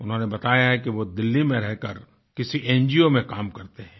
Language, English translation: Hindi, He says, he stays in Delhi, working for an NGO